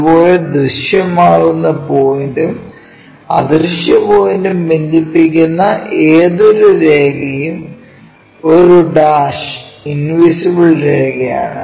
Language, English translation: Malayalam, Similarly, any line connecting a visible point and an invisible point is a dash invisible line